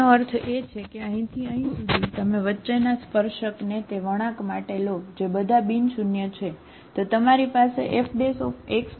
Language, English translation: Gujarati, That means upto here to here, you take the condition between or for the curves they are all nonzero